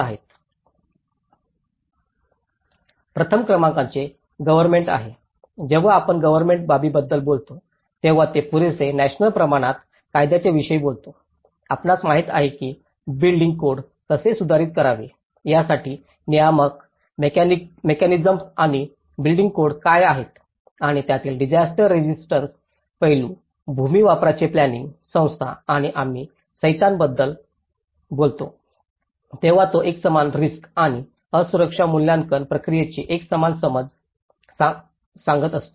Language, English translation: Marathi, Number one is government, when we talk about the government aspect, it talks about adequate national scale laws, you know what are the regulatory mechanisms and building codes how to improve the building codes, in order to the disaster resistant aspect of it and the land use planning, institutions and when we talk about codes, that is where it is addressing the uniform understanding of the uniform risk and vulnerability assessment procedures